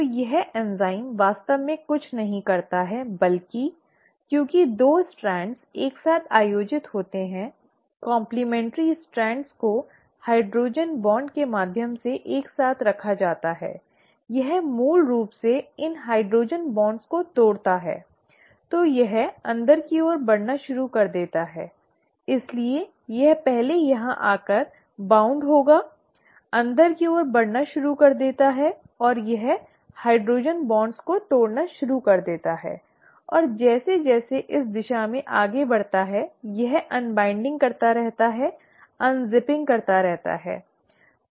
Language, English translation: Hindi, So what this enzyme really does is nothing but, since the 2 strands are held together the complementary strands are held together through hydrogen bonds, it basically breaks these hydrogen bonds, so it starts moving inwards, so it would have first bound here, starts moving inwards and it starts breaking the hydrogen bonds and as it moves in this direction it keeps unwinding, keeps unzipping